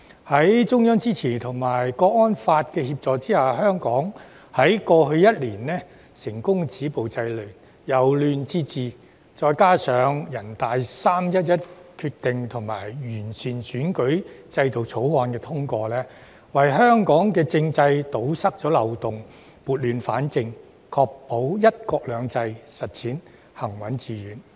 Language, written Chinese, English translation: Cantonese, 在中央支持及《香港國安法》的協助下，香港過去一年成功止暴制亂、由亂至治，再加上全國人民代表大會的"三一一"決定及《2021年完善選舉制度條例》獲得通過，為香港政制堵塞漏洞、撥亂反正，確保"一國兩制"行穩致遠。, With the support of the Central Government and the aid of the National Security Law for Hong Kong over the past year Hong Kong was successful in stopping violence and curbing disorder stopping chaos and restoring order . In addition the Decision of the National Peoples Congress on 11 March and the passage of the Improving Electoral System Ordinance 2021 help plug the loopholes in Hong Kongs constitutional system restore the law and order in Hong Kong and ensure the steadfast and successful implementation of one country two systems